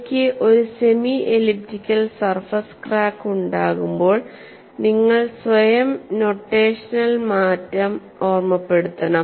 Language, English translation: Malayalam, When I have a semi elliptical surface crack, you have to remind yourself the notational change